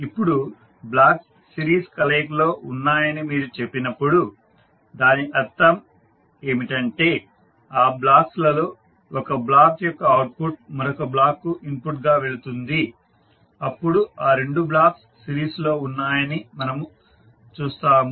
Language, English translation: Telugu, Now, when you say that the blocks are in series combination it means that the blocks, the output of one block will go to other block as an input then we will see that these two blocks are in series